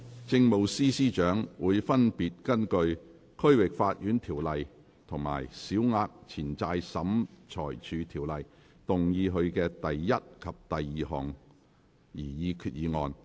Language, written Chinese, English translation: Cantonese, 政務司司長會分別根據《區域法院條例》和《小額錢債審裁處條例》動議他的第一及二項擬議決議案。, The Chief Secretary for Administration will move his first and second proposed resolutions under the District Court Ordinance and the Small Claims Tribunal Ordinance respectively